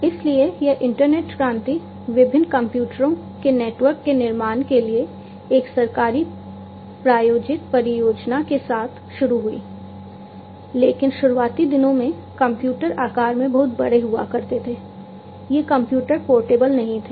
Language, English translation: Hindi, So, this internet revolution started with a government sponsored project to build a network of different computers, but in the early days the computers used to be very big in size, these computers were not portable